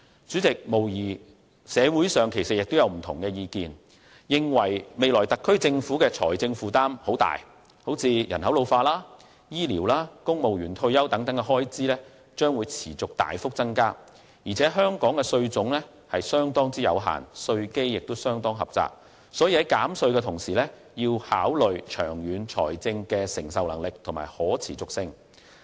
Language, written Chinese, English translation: Cantonese, 主席，社會上無疑眾說紛紜，認為特區政府未來的財政負擔會很大，人口老化、醫療和公務員退休等開支將會持續大幅增加，再加上香港的稅種相當有限，稅基亦相當狹窄，所以在減稅的同時，也要考慮長遠的財政承受能力和可持續性。, President there is no doubt that views in the community are divergent thinking that the financial burden of the SAR Government will become very heavy in the future as expenditures arising from an ageing population health care and civil service retirement continues to increase significantly . Coupled with fact that the types of taxes in Hong Kong are very limited and the tax base is pretty narrow thus a reduction in tax should take into consideration the long - term fiscal capacity and sustainability